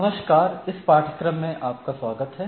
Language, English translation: Hindi, Hello, welcome to this course